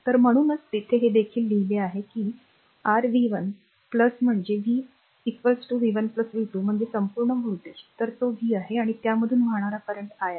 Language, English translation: Marathi, So, that is why here also it is written, that your v 1 plus that is v is equal to v 1 plus v 2 that is total voltage